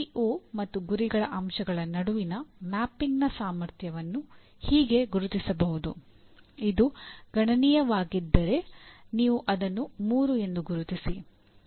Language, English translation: Kannada, Strength of mapping between PEO and the element of mission may be marked as if it is substantial, you mark it as 3